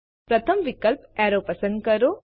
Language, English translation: Gujarati, Select the first option named Arrow